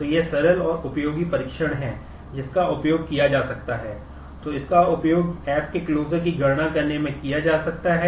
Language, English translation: Hindi, So, it is simple and useful test that can be made use of